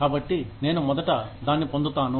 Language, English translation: Telugu, So, I will get to it, first